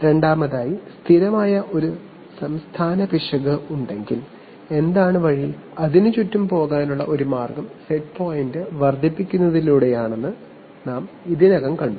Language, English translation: Malayalam, Secondly, we have already seen that if there is a steady state error, what is the way of, one way of going around it is by increasing the set point